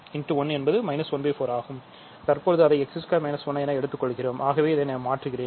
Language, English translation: Tamil, And you get so, it is x squared minus 1 I am taking